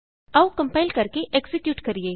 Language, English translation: Punjabi, Let us compile and execute